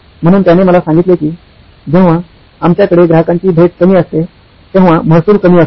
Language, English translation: Marathi, So he told me that when we have fewer customer visits, the revenue is low